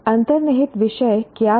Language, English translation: Hindi, What was the underlying theme of